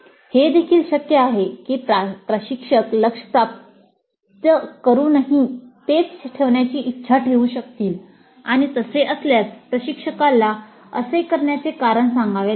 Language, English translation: Marathi, It is also possible that the instructor may wish to keep the target as the same even when it is achieved and if that is the case the instructor has to state the reasons for doing so